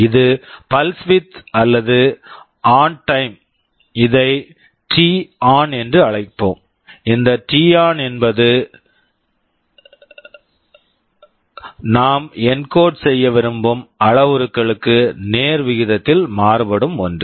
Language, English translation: Tamil, This is the pulse width or the ON time let us call it t on; this t on is something we are varying in proportion to the parameter we want to encode